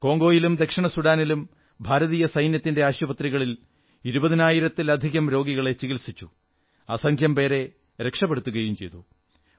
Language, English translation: Malayalam, In Congo and Southern Sudan more than twenty thousand patients were treated in hospitals of the Indian army and countless lives were saved